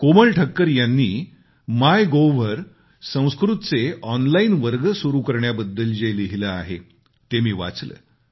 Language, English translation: Marathi, I read a post written on MyGov by Komal Thakkar ji, where she has referred to starting online courses for Sanskrit